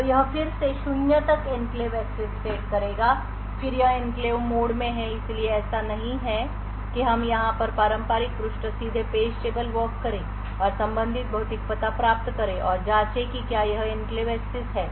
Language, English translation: Hindi, So will follow this again will set enclave access to zero then is it in enclave mode so it is no so we go here perform the traditional page directly page table walk and obtain the corresponding physical address and check whether it is an enclave access